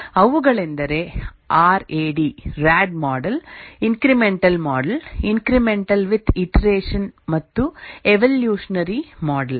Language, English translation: Kannada, These were the rad model, the incremental model, incremental with iteration and the evolutionary model